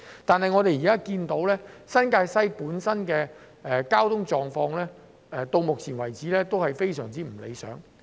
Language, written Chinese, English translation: Cantonese, 但是，新界西的交通狀況到目前為止仍然非常不理想。, However the traffic conditions in New Territories West have remained utterly undesirable